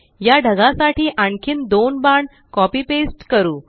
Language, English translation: Marathi, Lets copy and paste two more arrows for this cloud